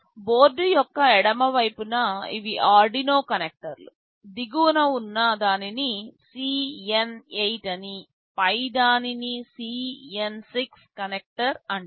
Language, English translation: Telugu, On the left side of the board these are the Arduino connectors the lower one is called CN8, the upper one is called CN6 connector